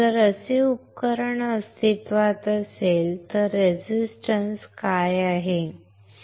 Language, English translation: Marathi, If a device is like this exists, what is the resistance